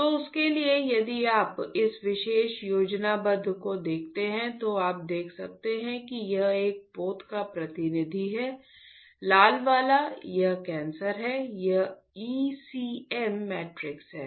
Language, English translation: Hindi, So, for that if you see this particular schematic you can see that this is a representative of a vessel, the red one, this is cancer, this is ECM matrix